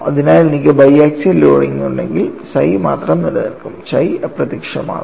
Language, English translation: Malayalam, So, if I have bi axial loading what happens only psi exists, chi vanishes